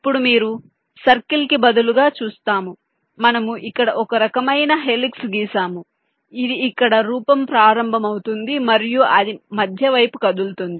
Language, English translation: Telugu, now you see, instead of circle we have drawn some kind of a helix which starts form here and it moves down towards the center